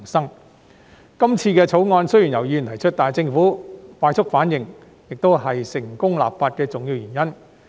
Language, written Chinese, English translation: Cantonese, 雖然這次《條例草案》由議員提出，但政府反應快速，亦是成功立法的重要原因。, This Bill although proposed by a Member was met by the quick reaction from the Government which is the major reason for the success of this legislation exercise